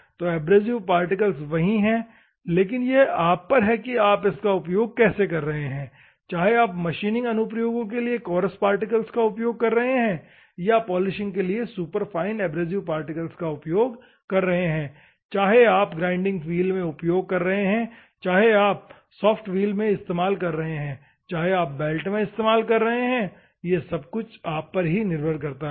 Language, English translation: Hindi, So, the abrasive particle is constant, but how you are using, whether you are using for the machining applications, by using a bigger coarser compressive particles or superfine abrasive particles for polishing, whether you are using in a grinding wheel, whether you are using in a soft wheel, whether you are using in a belt, or all depend on you